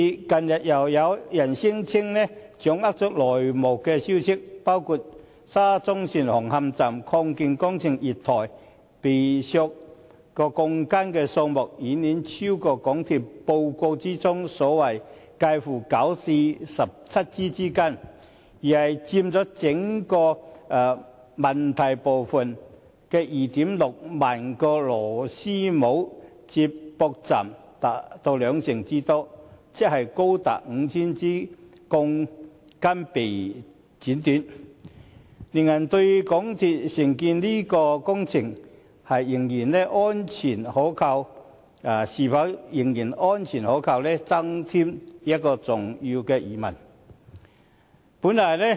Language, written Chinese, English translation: Cantonese, 近日，又有人聲稱掌握內幕消息，指沙中線紅磡站月台擴建工程被剪短鋼筋的數目，遠超港鐵公司在報告中所指介乎9至17枝之間，而是佔整個問題部分的 26,000 個螺絲帽/接駁位達兩成之多，即高達 5,000 枝鋼筋被剪短，令人對港鐵公司承建這項工程，是否仍然安全可靠，增添重要的疑問。, Recently someone who claimed to have insider information indicated that the number of steel bars being cut short at a platform of the Hung Hom Station extension works of SCL far exceeded the reported number of 9 to 17 as disclosed by MTRCL in its report but accounted for some 20 % of the 26 000 problematic couplersjoints in total . In other words as many as 5 000 steel bars had been cut short giving rise to serious doubts as regards whether this project undertaken by MTRCL is still safe and reliable . It is never too late to take remedial action